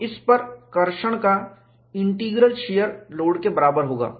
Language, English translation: Hindi, So, the integral of the traction on this, would be equal to the shear load